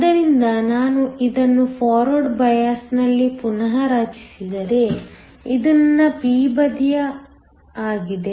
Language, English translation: Kannada, So, if I redraw this in forward bias, this is my p side